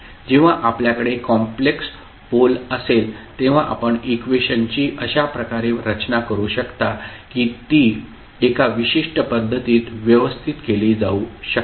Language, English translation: Marathi, So, when you have complex poles, you can rearrange the expressions in such a way that it can be arranged in a particular fashion